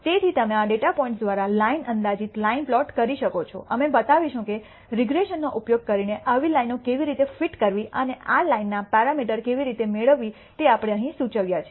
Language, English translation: Gujarati, So, you can plot a line approximate line through these data points we will show how to fit such lines using regression and how to obtain the parameters of this line that we have actually indicated here